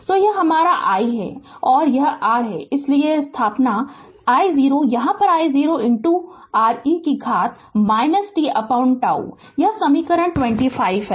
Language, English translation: Hindi, So, this is your I and this is R so substitute I here it will be I 0 into R e to the power minus t upon tau this is equation 25